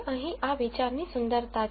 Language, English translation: Gujarati, That is the beauty of this idea here